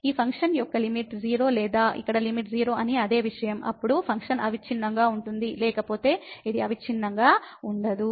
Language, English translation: Telugu, Whether the limit of this function is 0 or same thing here that the limit of this is 0; then, the function is continuous, otherwise it is not continuous